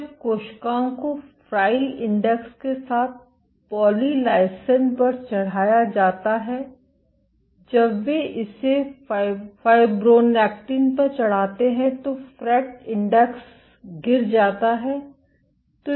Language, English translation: Hindi, When cells were plated on polylysine whatever with the fret index when they plated it on fibronectin the fret index dropped